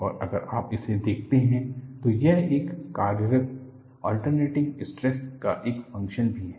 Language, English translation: Hindi, And if you look at, this is also a function of the operating alternating stress